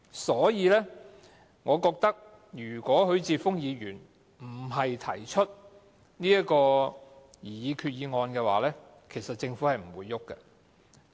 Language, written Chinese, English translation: Cantonese, 所以，我認為如果不是許智峯議員提出這項擬議決議案，其實政府是不會有行動的。, I thus think that if Mr HUI Chi - fung had not put forward this resolution the Government would not have taken any actions at all